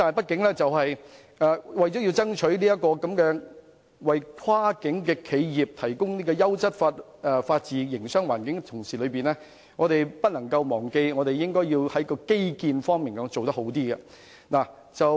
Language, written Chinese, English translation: Cantonese, 然而，在爭取為跨境企業提供優質法治營商環境的同時，我們不應忘記做好基建方面。, However while we are striving to provide cross - boundary enterprises with a quality business environment underpinned by the rule of law we should never forget about developing good infrastructure